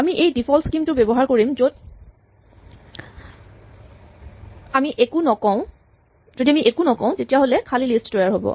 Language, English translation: Assamese, We will use this default scheme that if we do not say anything we create an empty list